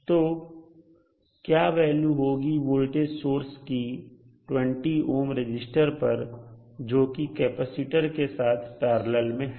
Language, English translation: Hindi, So what will be the value of voltage across 20 ohm resistor which is in parallel with capacitor